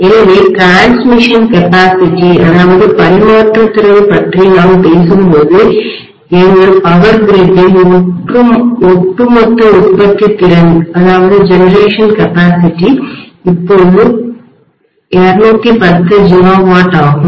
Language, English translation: Tamil, So when we talk about transmission capacity, the overall generation capacity of our Power Grid, right now is about 210 gigawatt, okay